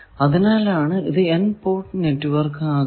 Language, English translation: Malayalam, So, that is why nth port network now